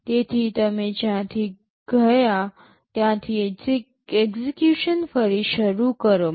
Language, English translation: Gujarati, So you resume execution from where you left